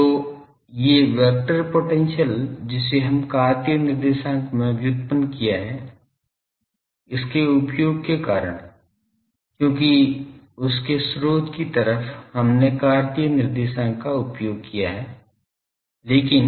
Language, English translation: Hindi, So, these vector potential that we have derived in Cartesian co ordinate because of its use because in the source side we have used Cartesian coordinates, but